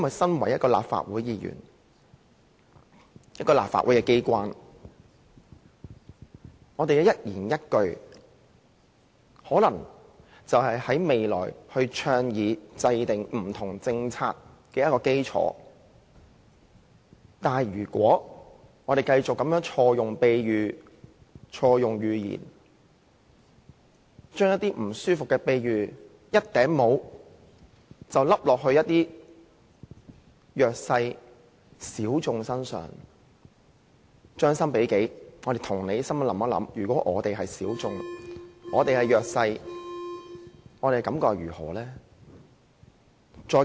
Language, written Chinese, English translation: Cantonese, 作為一位立法會議員，我們在立法機關的一言一語均可能成為未來倡議和制訂政策的基礎，議員不可繼續錯用比喻、寓言，將一些令人感覺不舒服的比喻，像帽子般套在一些弱勢人士、小眾身上，將心比己，帶着同理心想一下，如果我們是小眾、是弱勢人士，我們又有何感覺呢？, As a Member of the Legislative Council each and every sentence we say in the legislature may form the foundation for advocacy and formulation of policies in future . Members should stop using metaphors and fables wrongly . Imposing such disturbing metaphors on the disadvantaged and the minorities is comparable to labelling